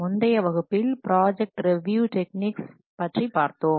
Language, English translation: Tamil, Last class we have discussed about project review technique